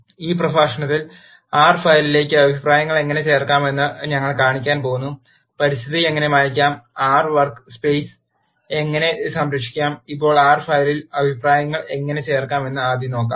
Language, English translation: Malayalam, In this lecture we are going to show how to add comments to the R file, how to clear the environment and how to save the workspace of R now let us first look at how to add comments to the R file